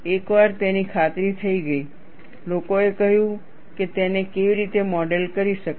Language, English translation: Gujarati, Once it was convinced, people said how it could be modeled